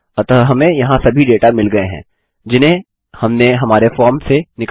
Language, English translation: Hindi, So we have got all the data here that we have extracted from our form